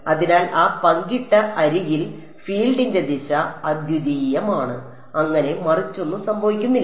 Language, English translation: Malayalam, So, along that shared edge the direction of the field is unique, there is no flipping happening across so